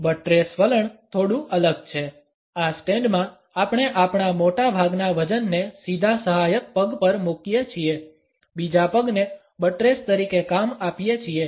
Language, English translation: Gujarati, The buttress stance is slightly different; in this stand we place most of our weight on a straight supporting leg, allowing the other leg to serve as a buttress